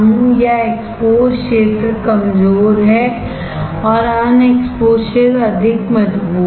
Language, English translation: Hindi, Or the exposed area is weaker and unexposed area is stronger